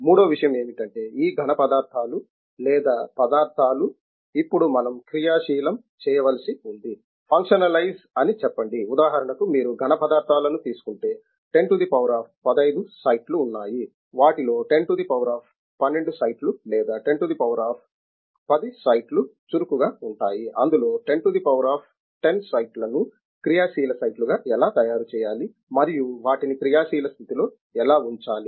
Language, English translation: Telugu, The third thing is in designing this solids or materials we have to now functionalize them, the functionalize say is for example, if you take a solid, there are 10 to power the of 15 sides, out of which only 10 to the power of 12 or 10 to the power of 10 sites will be active of all them; how to make those 10 to the power of 10 as active sites, and how to keep them in the active state